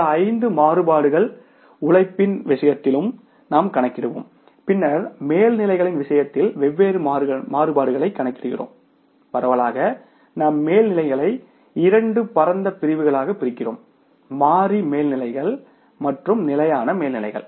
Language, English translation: Tamil, These 5 variances we will calculate in case of the labour also and then in case of the overheads we calculate different variances like broadly we divide the overheads into two broad categories, variable overheads and the fixed overheads